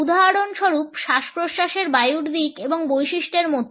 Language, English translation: Bengali, For example, like the direction and characteristics of respiratory air